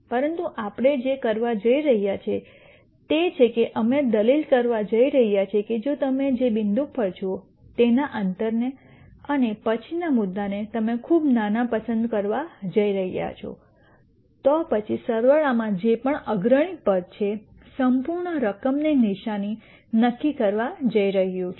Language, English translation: Gujarati, But what we are going to do is we are going to make the argument that if you make the distance between the point that you are at and the next point that you are going to choose very small, then whatever is the leading term in the sum is going to decide the sign of the whole sum